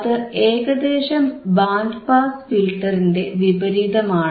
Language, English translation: Malayalam, It is kind of opposite to band pass filter right